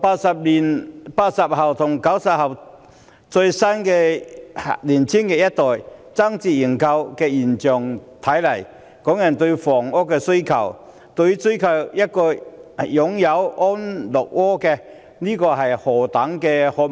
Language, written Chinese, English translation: Cantonese, 從80後、90後年青一代爭相認購的現象可見，港人對房屋的需求是何等殷切，對於擁有一個安樂窩是何等渴望。, From the phenomenon that the younger generation such as the post - 80s and post - 90s vies for subscription we can see how keen the housing demand of Hong Kong people is and how desperately they yearn for a comfortable home